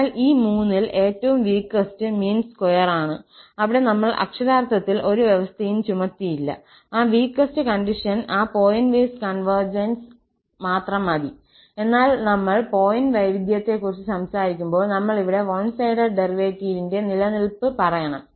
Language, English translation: Malayalam, So, for the weakest among these three was the mean square sense and there we did not literally impose any condition, only that piecewise continuity is enough for that weaker notion of convergence, but when we are talking about the pointwise convergence, then we have added here the existence of one sided derivative